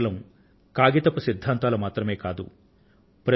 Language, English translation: Telugu, They were not just mere theories